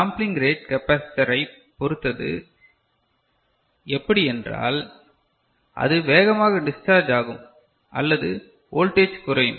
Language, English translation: Tamil, And, the sampling rate depends on capacitor, how as I said quickly it discharges or you know the voltage comes down